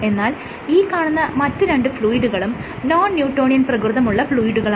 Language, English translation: Malayalam, So, both of these other fluids are non newtonian